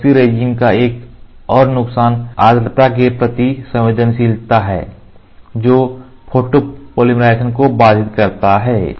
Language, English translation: Hindi, Another disadvantage of epoxy resin is there sensitivity to humidity which can inhibit polymerization